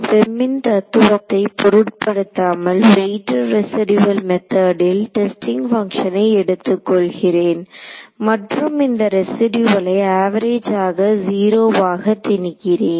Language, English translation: Tamil, regardless the philosophy of FEM is the same a weighted residual method I take my testing functions and impose this residual to be 0 in an average sense ok